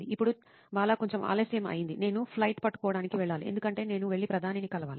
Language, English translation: Telugu, Now Bala, it is bit late I have to go to catch a flight because I have to go and meet the Prime Minister